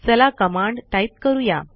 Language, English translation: Marathi, Let us try this command and see